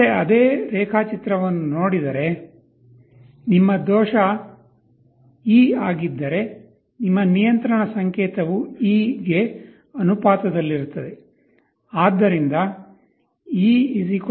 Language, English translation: Kannada, Looking into that same diagram again, if your error is e your control signal will be proportional to e